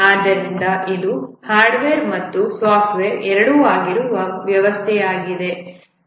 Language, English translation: Kannada, So this is the system which is both hardware and software